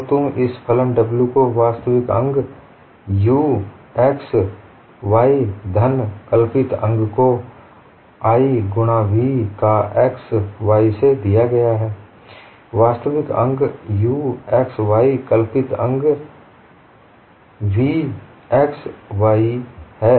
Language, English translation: Hindi, So you look at this function W as a real part u x comma y plus imaginary part, given as i, into v into v of x comma y